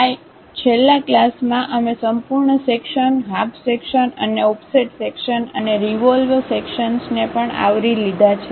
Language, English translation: Gujarati, In the last class, we have covered full section, half section and offset section and also revolved sections